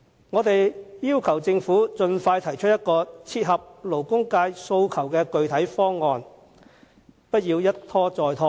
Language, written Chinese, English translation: Cantonese, 我們要求政府盡快提出一個切合勞工界訴求的具體方案，不要一拖再拖。, We call on the Government to expeditiously put forward a specific proposal that meets the demands of the labour sector and refrain from further procrastination